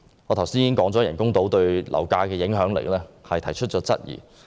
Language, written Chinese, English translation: Cantonese, 我剛才已就人工島對樓價的影響力提出質疑。, Just now I have voiced my doubts about the effects of artificial islands on property prices